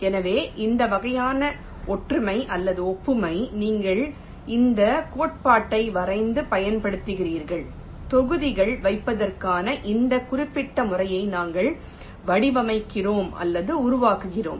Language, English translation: Tamil, so this kind of similarity or analogy you were drawing and using this principle we are faming, or formulating this particular method for placing the modules